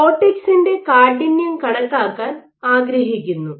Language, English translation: Malayalam, So, you want to estimate the stiffness of the cortex